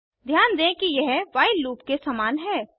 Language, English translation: Hindi, Notice that it is similar to a while loop